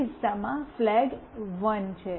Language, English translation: Gujarati, In the first case the flag is 1